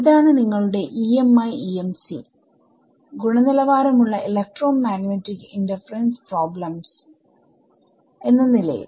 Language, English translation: Malayalam, So, that is your EMI EMC as a quality electromagnetic interference problems